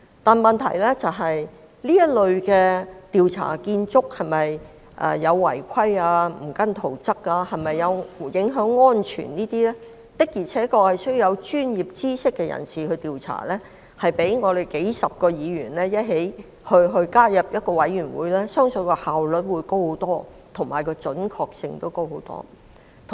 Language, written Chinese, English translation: Cantonese, 但問題是，這類關乎建築工程是否違規、未有按照圖則施工和影響安全等的調查，確實應由具備專業知識的人士進行，而我相信這將較由數十位議員組成委員會進行調查的效率高得多，準確性亦會大大提升。, But the problem is that such inquiries into the irregularities of construction works deviations of works from construction drawings and safety impacts should really be conducted by parties with expertise which I believe will be more efficient with much greater accuracy than that conducted by a committee comprising dozens of Members